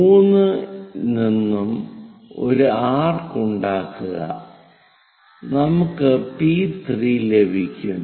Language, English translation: Malayalam, From 3 make an arc which will be at P3